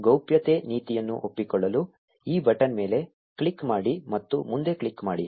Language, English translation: Kannada, Click on this button to accept the privacy policy and click next